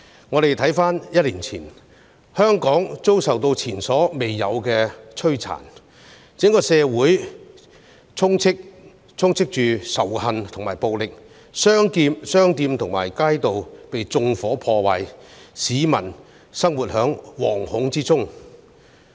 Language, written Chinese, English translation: Cantonese, 我們回看一年前，香港遭受前所未有的摧殘，整個社會充斥着仇恨和暴力，商店和街道被縱火、破壞，市民生活在惶恐之中。, Looking back on the past year Hong Kong was devastated as never before . The entire community was filled with hatred and violence shops and streets were set on fire and vandalized and people were living in fear back then